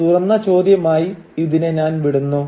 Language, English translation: Malayalam, So I leave it as an open ended question